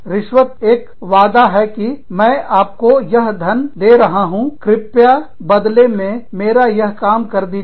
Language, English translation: Hindi, A bribe is a promise, that i am giving you this money, please do this for me, in return